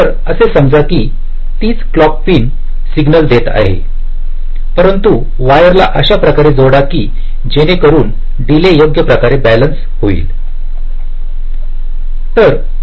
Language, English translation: Marathi, so the same clock pin is feeding the signal, but let us route the wires in such a way that the delays are getting balanced in some way